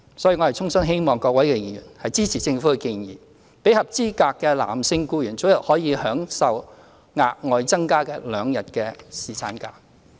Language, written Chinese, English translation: Cantonese, 所以，我衷心希望各位議員支持政府的建議，讓合資格的男性僱員早日可以享有額外新增兩天的侍產假。, I therefore sincerely hope that Members will support the Governments proposal to allow eligible male employees to enjoy an additional two days of paternity leave as early as possible